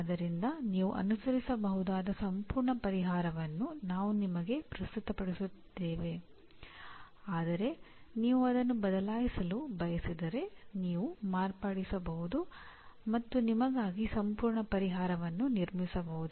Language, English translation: Kannada, So we are presenting you a complete solution in the sense you can follow this but if you want to change you can modify and build a complete solution for yourself